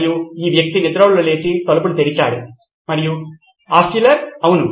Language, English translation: Telugu, And this guy sleepily opening the door and Altshuller said, Yes